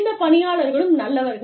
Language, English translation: Tamil, And, these people are good